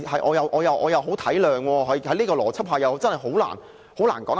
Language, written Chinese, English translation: Cantonese, 我體諒他們，在這種邏輯下，真的很難說得通。, I feel for them . It is really hard to justify the withdrawal under such logic